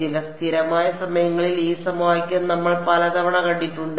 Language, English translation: Malayalam, Some constant times the current we have seen this equation many time